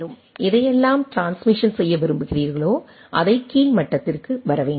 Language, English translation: Tamil, So, whatever you want to transmit, it need to come to the down level right